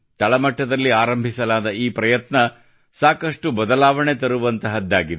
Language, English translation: Kannada, Such efforts made at the grassroots level can bring huge changes